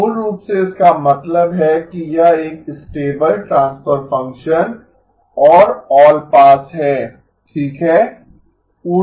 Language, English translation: Hindi, So basically it means that it is a stable transfer function and is allpass okay